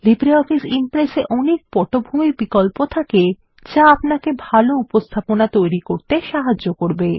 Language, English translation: Bengali, LibreOffice Impress has many background options that help you create better presentations